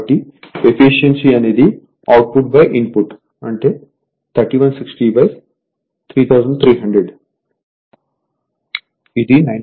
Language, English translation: Telugu, So, efficiency will be output by input so, 3160 upon 3300 so, 95